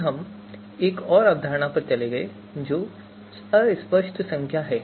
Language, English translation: Hindi, Then we move to another concept that is fuzzy numbers